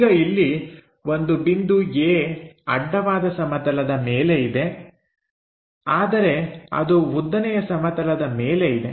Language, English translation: Kannada, And, the point A is on horizontal plane in front of vertical plane